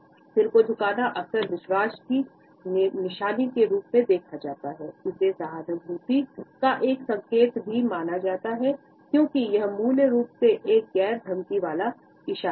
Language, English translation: Hindi, Tilting the head is often seen as a sign of trust, it is also perceived as a sign of empathy, as it is basically a non threatening gesture